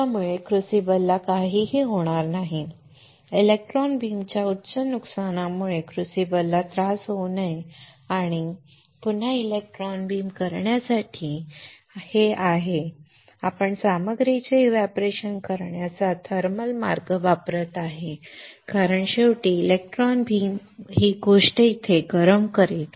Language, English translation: Marathi, So, that nothing happens to the crucible, crucible should not get disturbed because of the high electron beam damages and (Refer Time: 36:52) to electron beam again this is we are still using the thermal way of evaporating the material because finally, electron beam will heat this thing here